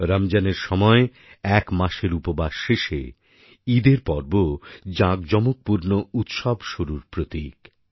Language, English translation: Bengali, After an entire month of fasting during Ramzan, the festival of Eid is a harbinger of celebrations